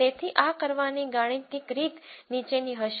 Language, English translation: Gujarati, So, mathematical way of doing this would be the following